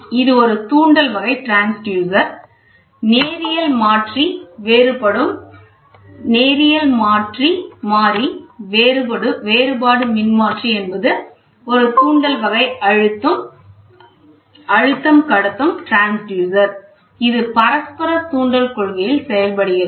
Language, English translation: Tamil, So, this is an inductive type transducer, the linear variable differential transformer is an inductive type of pressure transducer that works on mutual inductance principle